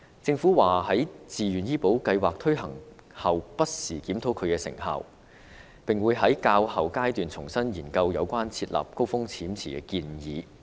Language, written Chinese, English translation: Cantonese, 政府表示會在自願醫保計劃推行後，不時檢討其成效，並會在較後階段重新研究設立高風險池的建議。, The Government has stated that the effectiveness of VHIS would be reviewed from time to time after its implementation and the proposal of setting up a High Risk Pool would be revisited in due course